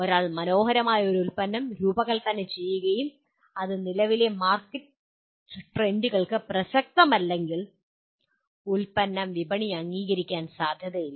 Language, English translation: Malayalam, Even if one designs a beautiful product and it is not relevant to the current market trends, the product has no chance of getting accepted by the market